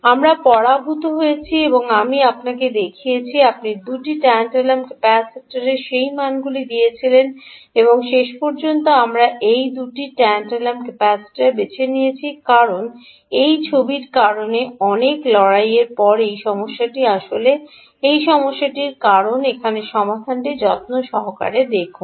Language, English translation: Bengali, you gave you those values of two tantalum capacitors, ah, and we finally choose these two, those two tantalum capacitors, because, after lot of struggle because of this picture, this is really the problem